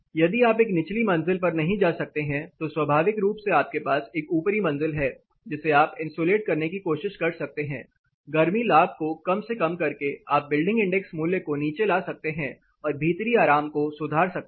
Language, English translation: Hindi, If you are not able to get to a lower floors, naturally you have a top floor you can try insulating it minimize the heat gain so that you can bring the building index value down and improve the comfort indoor